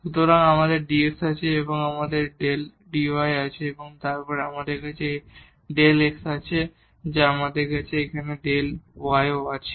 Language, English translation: Bengali, So, we have the dx and we have the del dy and then we have again this delta x and then we have here delta y ok